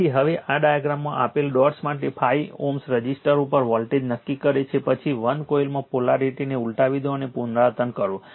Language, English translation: Gujarati, So, now this one determine the voltage across the 5 ohm resister for the dots given in the diagram, then reverse the polarity in 1 coil and repeat